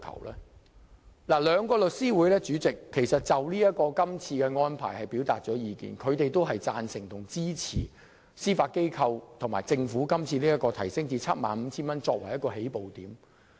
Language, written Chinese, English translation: Cantonese, 代理主席，兩個律師會就今次的安排表達了意見，他們均贊同和支持司法機構和政府以把限額提高至 75,000 元作為起步點。, Deputy President the two legal bodies have expressed their views on the current proposed arrangement . Both of them agree and support the Judiciary and the Government in raising the limit to 75,000 as a starting point